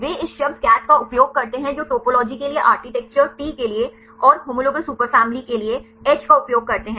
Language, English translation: Hindi, They use this word CATH which represent class A for architecture T for topology and H for homologous superfamily